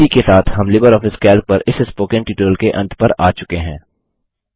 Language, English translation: Hindi, This brings us to the end of this spoken tutorial on LibreOffice Calc